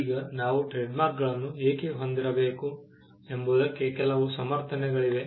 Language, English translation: Kannada, Now, there are some justifications as to why we should have trademarks